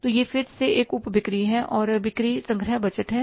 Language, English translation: Hindi, So, it's again a subcomponent, sales and sales collection budget